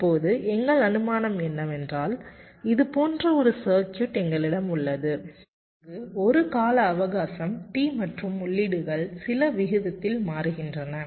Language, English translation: Tamil, now our assumption is that we have a circuit like this where there is a period time, t, and the inputs are changing at some rate